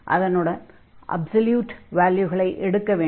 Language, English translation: Tamil, So, we do not have to use the absolute value here